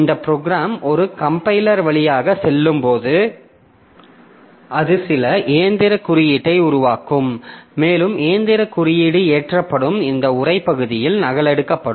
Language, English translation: Tamil, So, this program when it passes through a compiler, so it will generate some machine code and that machine code will be loaded, will be copied into this text region